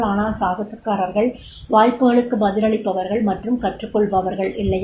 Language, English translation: Tamil, The adventurers, though it is those who respond to and learn from the opportunities, right